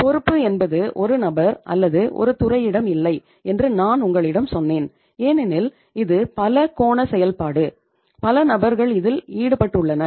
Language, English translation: Tamil, Then I say that I I told you that responsibility is not with the one person or the one department because itís a multi angle activity, multiple people are involved